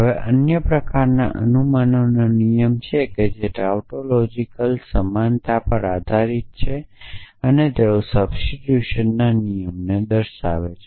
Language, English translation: Gujarati, Now, there are other kinds of rule of inference which are based on tautological equivalences and they give rise to rules of substitution